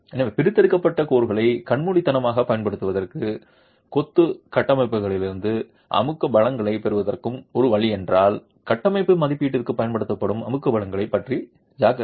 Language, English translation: Tamil, So if one way to blindly use extracted codes and get compressive strength out of masonry constructions, beware of the compressive strings that are being used for structural assessment